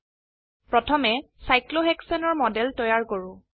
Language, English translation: Assamese, Let us first create a model of cyclohexane